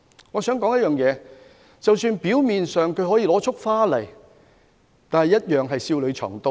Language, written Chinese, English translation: Cantonese, 我想指出一點，就是即使他表面上是拿着一束花走過來，但同樣會笑裏藏刀。, I would like to point out that even if a person came forward and gave me a bouquet of flowers he could hide a dagger behind his smile